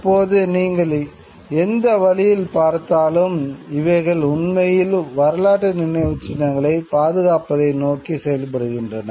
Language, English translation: Tamil, Now, whichever way you look at it, these actually work towards preservation of historical monuments